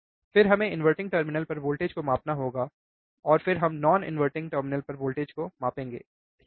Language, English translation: Hindi, Then we have to now measure the voltage at the inverting terminal, and then we have to measure the voltage at the non inverting terminal, alright